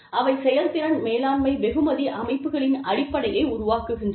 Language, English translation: Tamil, They form the basis of, performance management reward systems